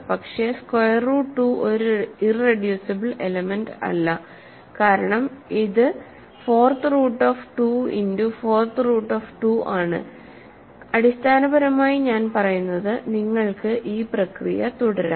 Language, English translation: Malayalam, But, square root 2 is also not an irreducible element because, it is fourth root of 2 times 4th root of 2 and then also 4th root of 2 4th root of 2